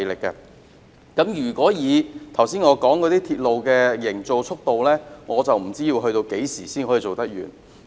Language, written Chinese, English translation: Cantonese, 以我剛才所說的鐵路營造速度，不知要到何時才可完成。, Based on the progress of the railway construction projects that I have just mentioned I wonder how long it will take to get them done